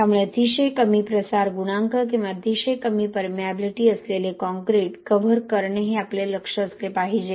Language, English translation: Marathi, So cover concrete with very low diffusion coefficient or very low permeability is what our target should be